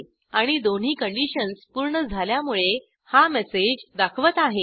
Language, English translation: Marathi, And as both the conditions are satisfied, it displays the message